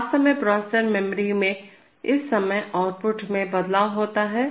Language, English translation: Hindi, So, actually in the processor memory the output changes at this point of time